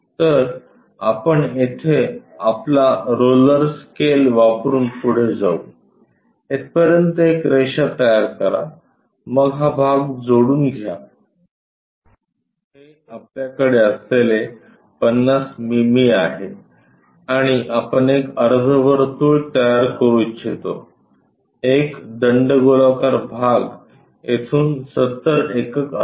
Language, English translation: Marathi, So, we will go ahead use our roller scale construct a line all the way up here then connect this one this portion this is the 50 mm thing what we have and we would like to construct a semi circle one a cylindrical portion is supposed to be 70 units from here